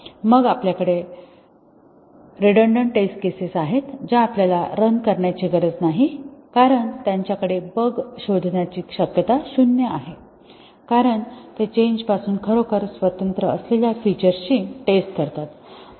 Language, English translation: Marathi, Then we have the redundant test cases which we need not as well run because they have zero chance of detecting a bug because they test the features which are truly independent of the change